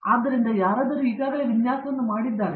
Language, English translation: Kannada, So, somebody has already done the design